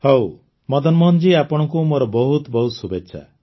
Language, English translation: Odia, Well, Madan Mohan ji, I wish you all the best